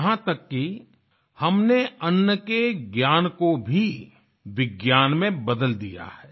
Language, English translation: Hindi, We have even converted the knowledge about food into a science